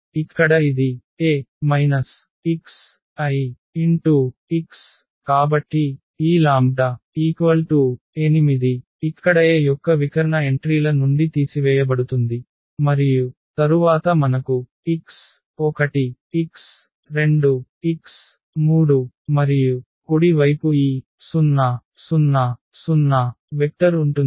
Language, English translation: Telugu, So, here this is a minus lambda I; so, this lambda means 8 here was subtracted from the diagonal entries of A and then we have x 1 x 2 x 3 and the right hand side this 0 vector